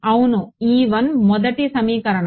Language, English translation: Telugu, That is my first equation ok